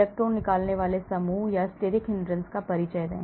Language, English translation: Hindi, Introduce electron withdrawing groups or steric hindrance